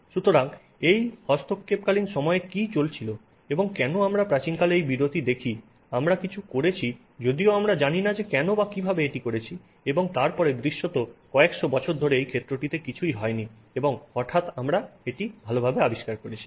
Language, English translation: Bengali, So, what was going on in this intervening period and why do we see this break in the in olden days we did something although we didn't know why or how we did it and then apparently nothing was going on in this field for several hundreds of years and then suddenly we have discovered it